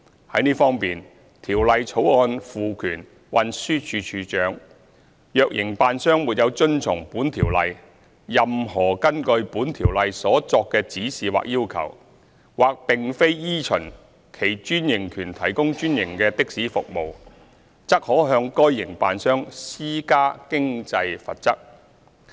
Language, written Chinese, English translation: Cantonese, 在這方面，《條例草案》賦權運輸署署長，若營辦商沒有遵從本條例、任何根據本條例所作的指示或要求，或並非依循其專營權提供專營的士服務，則可向該營辦商施加經濟罰則。, In this regard the Bill confers on the Commissioner for Transport the power to impose financial penalties on an operator if it fails to comply with the Ordinance any directions or requirements under the Ordinance or provides a franchised taxi service otherwise than in conformity with its franchise